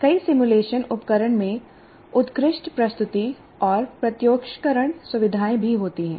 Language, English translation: Hindi, Many simulation tools have good presentation and visualization features as well